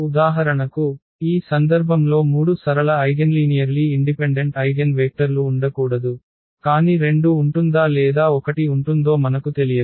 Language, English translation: Telugu, There cannot be three linearly eigen linearly independent eigenvectors for example, in this case, but we do not know whether there will be 2 or there will be 1